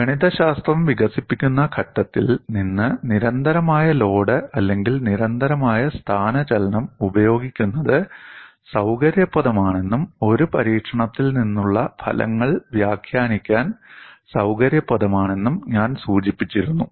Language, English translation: Malayalam, So, you have to keep this in mind, I had also mention the use of constant load or constant displacement is convenient from the point of developing the mathematics and also convenient to interpret the results from an experiment